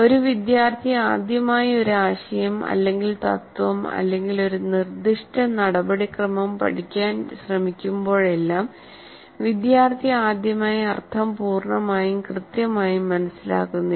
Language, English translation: Malayalam, Whenever a student is trying to learn first time a concept or a principal or a certain procedure, what happens, the students do not construct meaning fully or accurately the first time